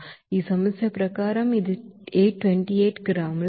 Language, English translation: Telugu, It is as per this problem it is 828 gram of water